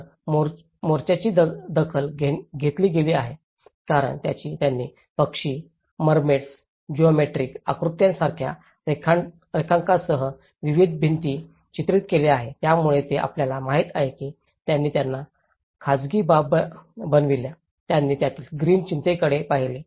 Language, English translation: Marathi, So, the fronts have been taken care of because they have painted with various murals with drawings like birds, mermaids, geometric figures, so this actually shows you know, they made them private gardens into it, they looked into the green concerns of it